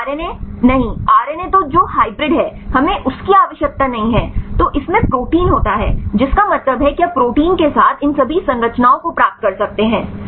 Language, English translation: Hindi, So, RNA no RNA then the hybrid that is we do not need then it contains protein means you can get all these structures with proteins right